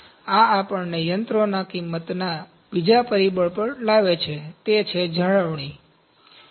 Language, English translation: Gujarati, So, this brings us on the second factor of machine cost, that is maintenance